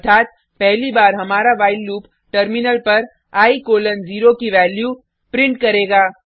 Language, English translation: Hindi, This means, first time our while loop will print Value of i: 0 on the terminal